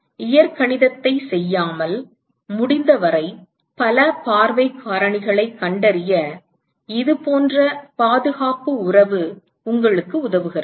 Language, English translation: Tamil, So, such kind of conservation relationship helps you in finding as many view factors as possible without doing the gory algebra